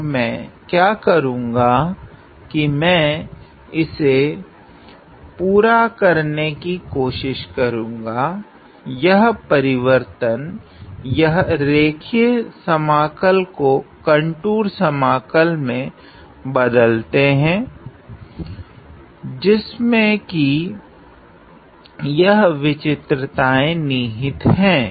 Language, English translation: Hindi, And what I do is I try to complete this; this change this line integral into a contour integral which encompasses this singularity right